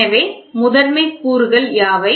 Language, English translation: Tamil, So, what are the primary elements